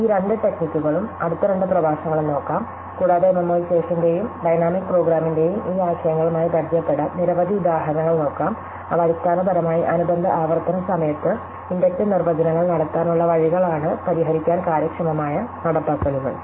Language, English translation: Malayalam, So, we will look at these two techniques, the next couple of lectures and look at several examples to get familiar with these notions of memoization and dynamic program, which are essentially ways of making inductive definitions at the corresponding recursive implementations efficient to solve